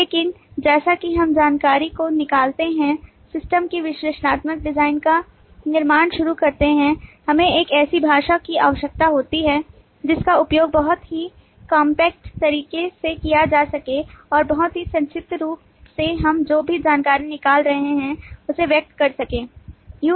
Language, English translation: Hindi, but as we extract the information and start creating the analytical design of the system, we need a language which can be used very compact way and very concretely to express all the information that we are extracting